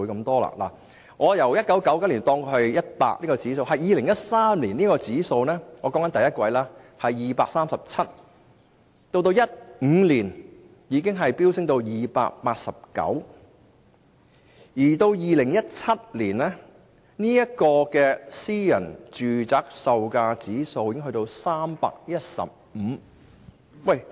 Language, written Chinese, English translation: Cantonese, 假設1999年的私人住宅售價指數是 100，2013 年——我指的是第一季——已是 237， 到2015年已進一步飆升至 289， 而2017年時更高達315。, Assuming that the price index of private residential properties in 1999 was 100 it rose to 237 in 2013―I mean the first quarter . The index then escalated to 289 in 2015 and reached as high as 315 in 2017